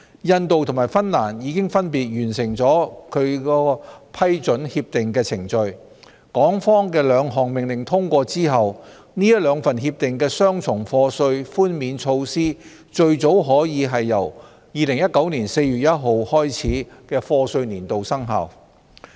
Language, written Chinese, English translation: Cantonese, 印度和芬蘭已分別完成其批准協定的程序，港方的兩項命令通過後，這兩份協定的雙重課稅寬免措施最早可由2019年4月1日開始的課稅年度生效。, Both India and Finland have already completed the procedures for approving the agreements so after the passage of the two orders in Hong Kong the double taxation relief measures provided under those two agreements would take effect as early as the year of assessment commencing on 1 April 2019